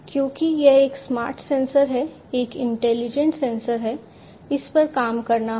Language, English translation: Hindi, Because it is a smart sensor, because it is an intelligent sensor, it has to do things on it is own